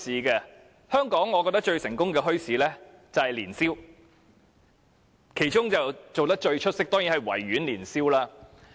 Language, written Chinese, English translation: Cantonese, 在香港，我覺得最成功的墟市就是年宵市場。其中做得最出色的，當然是維園年宵市場。, I believe that the most successful bazaar in Hong Kong is the Lunar New Year Fair and the best Lunar New Year Fair is held in the Victoria Park